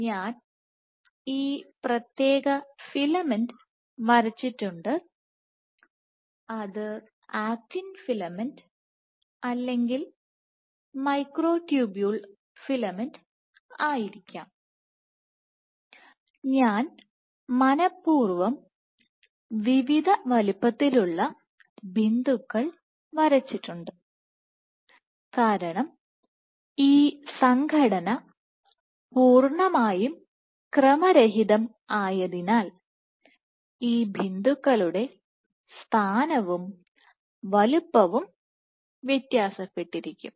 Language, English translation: Malayalam, So, I have drawn this particular filament it might been actin filament or a microtubule filament which is, so I have intentionally drawn dots of various sizes because the chance or the size of these speckles will vary because this association is completely random, but once you see this speckle geometry what you can track there are two pieces of information that you can determine from this